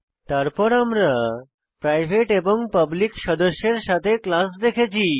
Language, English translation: Bengali, Then we have seen class with the private and public members